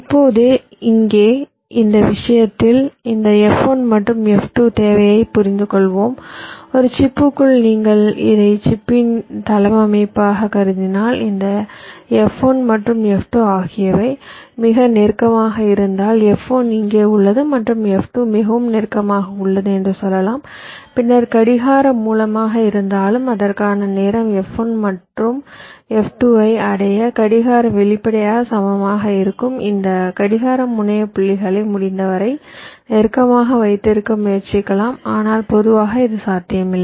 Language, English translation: Tamil, so if inside a chip, if you consider this as the layout of the chip, if this, this f one and f two are very close together lets say f one is here and f two is very close together then wherever the clock source is, the, the time taken for the clock to reach f one and f two will obviously be approximately equal if we are able to keep this clock terminal points as close as possible